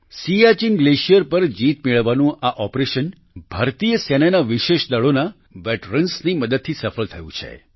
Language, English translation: Gujarati, This operation to conquer the Siachen Glacier has been successful because of the veterans of the special forces of the Indian Army